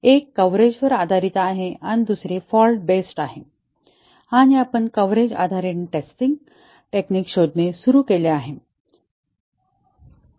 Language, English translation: Marathi, One is coverage based and the other is fault based and we started looking at the coverage based testing techniques